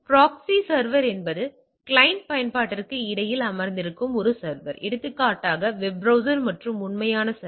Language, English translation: Tamil, Proxy server it is a server that sits between the client application for example, web browser and a real server